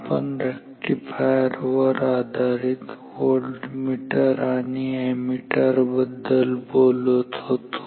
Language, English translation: Marathi, We were discussing about Rectifier based Voltmeters and Ammeters